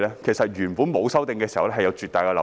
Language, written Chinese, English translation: Cantonese, 其實原本沒有修訂時，有絕大的漏洞。, In fact when there were no such amendments there was a huge loophole